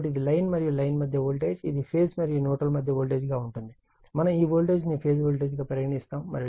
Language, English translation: Telugu, So, this is line to line voltage, and this is your line to neutral we call phase voltage